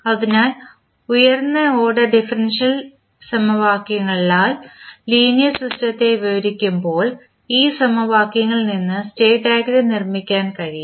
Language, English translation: Malayalam, So, when the linear system is described by higher order differential equations the state diagram can be constructed from these equations